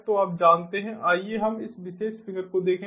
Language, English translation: Hindi, so you know, let us look at this particular figure